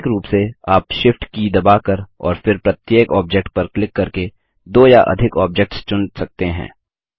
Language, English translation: Hindi, Alternately, you can select two or more objects by pressing the Shift key and then clicking on each object